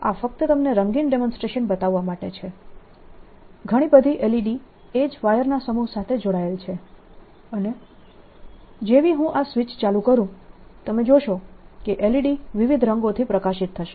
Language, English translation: Gujarati, this is just to show you a colorful ah you know demonstration: lot of l e d's connected to the same set of wires and as soon as i turned it on, you will see that the l e d's will light up with different colors